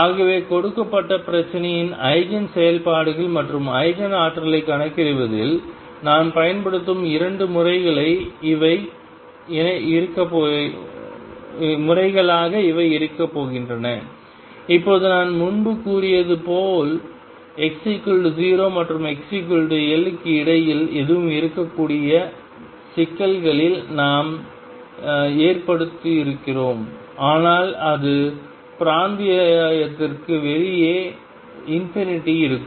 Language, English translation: Tamil, So, these are going to be the 2 methods which we use in calculating the eigenfunctions and Eigen energies of a given problem a right now as I said earlier we have occurring on problems where the potential could be anything between x equals 0 and x equals l, but it is going to be infinity outside that region